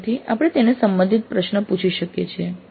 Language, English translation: Gujarati, So we can ask a question related to that